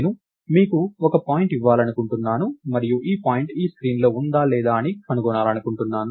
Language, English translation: Telugu, So, lets say I want to give you a point and I want to find out, is this point inside this screen or not